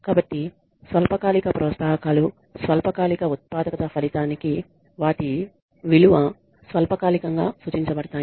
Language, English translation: Telugu, So, since short term incentives are indicative of and a result of short term productivity their value is short lived